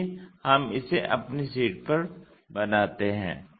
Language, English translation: Hindi, Let us construct that on our sheet